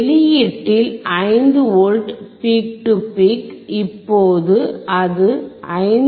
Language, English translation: Tamil, And at the output we can see, 5V peak to peak , now it is 5